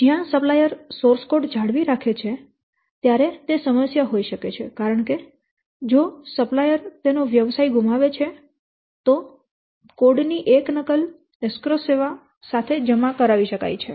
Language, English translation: Gujarati, If the supplier retains the source code may be a problem because if the supplier goes out of the business to circumvent a copy of code could be deposited with an escrow service